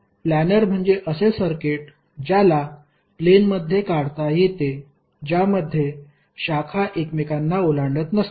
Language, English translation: Marathi, Planer means the circuit is the planer which can be drawn in a plane with no branches crossing one another